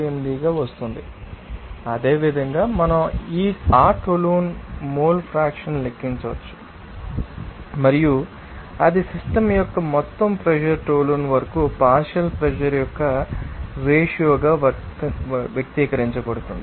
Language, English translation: Telugu, 648 whereas, the same way we can calculate that toluene mole fraction and that can be you know expressed as you know the ratio of that you know partial pressure up toluene into the total pressure of the system